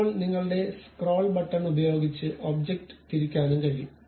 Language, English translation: Malayalam, Now, still you can use your scroll button to really rotate the object also